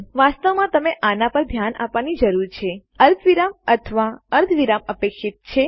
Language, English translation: Gujarati, You really need to look for these expecting either a comma or a semicolon